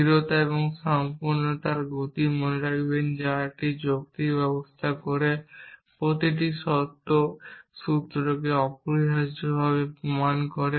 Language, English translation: Bengali, Remember the motions of soundness and completeness that does a logical system prove every true formula essentially